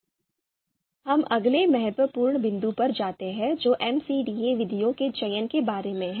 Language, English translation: Hindi, Now, we move to you know next important point that is about selection of MCDA MCDA methods